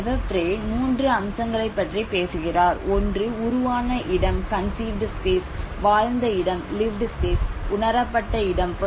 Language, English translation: Tamil, Lefebvre talks about 3 aspects, one is conceived space, lived space, perceived space